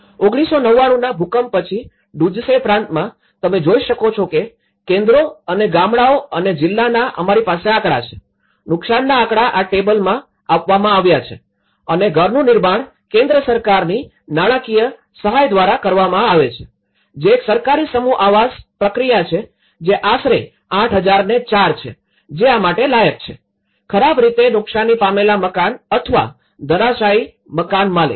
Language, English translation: Gujarati, In Duzce province after the 1999 earthquake, you can see that in the centres and villages and the district we have the statistical you know, the damage statistics is in providing this table and the house is constructed through the central government financial support, one is the government mass housing process which is about 8004 who is qualified for this; owner of badly damaged or a collapsed house